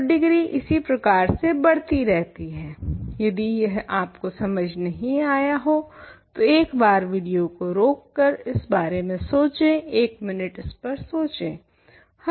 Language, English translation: Hindi, So, degrees keep increasing like this is very easy point, think about it for a minute pausing the video, think about it for a minute if it is not clear to you